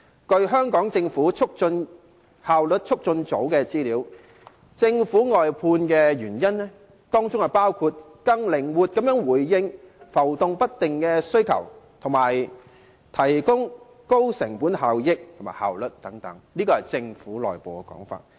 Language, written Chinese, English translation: Cantonese, 根據香港政府效率促進組的資料，政府把服務外判的原因包括更靈活地回應浮動不定的需求，以及提高成本效益和效率等，這是政府內部的說法。, According to the information of the Efficiency Unit of the Hong Kong Government the reasons for the outsourcing of services by the Government include increasing the flexibility in coping with fluctuating demands and attaining better cost - effectiveness and efficiency . This is the Governments internal view